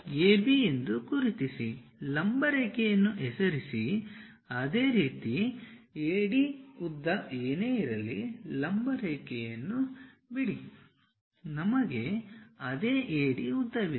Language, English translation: Kannada, Mark AB, drop A perpendicular line name it C; similarly, drop a perpendicular line whatever AD length is there, we have the same AD length